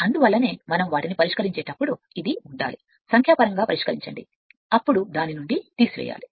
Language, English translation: Telugu, That is why this has to be you have to be when we solve their solve the numerical this has to be subtracted from this one right